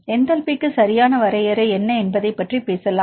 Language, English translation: Tamil, You talk about enthalpy right what is the definition for enthalpy